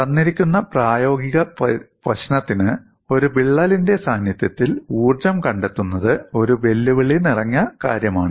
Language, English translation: Malayalam, See, for a given practical problem, finding out the energy in the presence of a crack is a challenging task